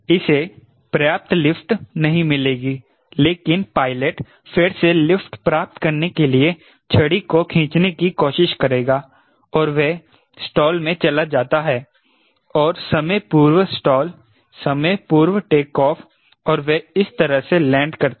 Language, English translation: Hindi, till not get sufficient lift right, but he will, the pilot will again try to pull the stick to get the lift and you go into the stall and pre match your stall, pre match your takeoff any lands like this